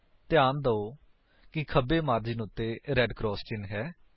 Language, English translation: Punjabi, Notice that there is a red cross mark on the left margin